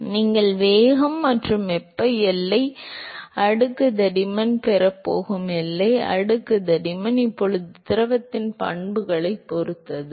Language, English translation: Tamil, So, the boundary layer thickness that you are going to get the momentum and thermal boundary layer thickness is now going to be dependent on the properties of the fluid